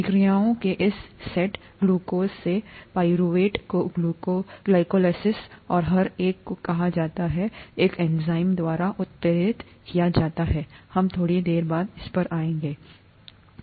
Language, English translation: Hindi, This set of reactions, glucose to pyruvate is called glycolysis and each one is catalysed by an enzyme, we will come to that a little later